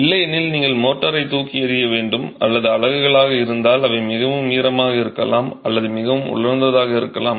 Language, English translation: Tamil, If not, you will throw away the motor or check if your units are not, they might be too wet or they might be too dry